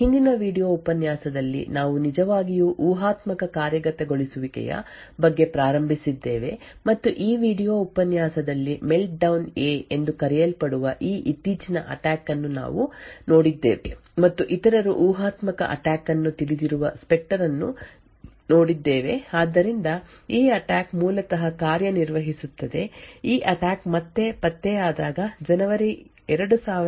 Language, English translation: Kannada, Hello and welcome to this lecture in the Course for Secure Systems Engineering in the previous video lecture we had actually started about speculative execution and we had look at this recent attack known as Meltdown a in this video lecture we look at and others speculative attack known specter so this attack works basically in was this attack was discovered again in January 2018 and also makes use of the speculative execution of Intel processors